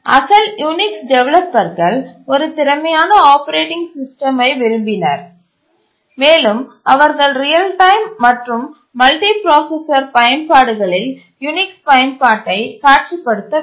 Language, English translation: Tamil, The original Unix developers wanted an efficient operating system and they did not visualize the use of Unix in real time and multiprocessor applications